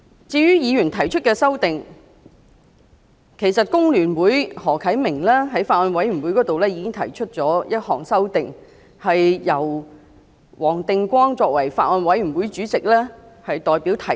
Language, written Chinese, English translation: Cantonese, 至於議員提出的修訂，其實香港工會聯合會的何啟明議員在法案委員會裏提出了一項修訂，由法案委員會主席黃定光議員代表提出。, Speaking of the amendments proposed by Members Mr HO Kai - ming of The Hong Kong Federation of Trade Unions FTU had actually proposed an amendment in the Bills Committee to be moved by Mr WONG Ting - kwong Chairman of the Bills Committee on behalf of the Committee